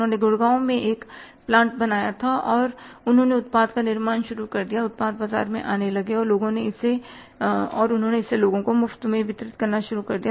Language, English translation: Hindi, They had created a plant at Gurdgaon and they started manufacturing the product, product started coming to the market and they started distributing it free of cost to the people but finally people or the market rejected the product